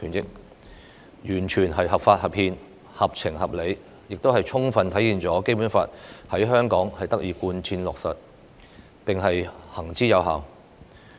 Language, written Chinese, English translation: Cantonese, 有關裁決完全是合法、合憲、合情、合理，亦充分體現《基本法》在香港得以貫徹落實，並行之有效。, The judgment is constitutionally lawful proper and reasonable and shows clearly that the Basic Law is effectively implemented in Hong Kong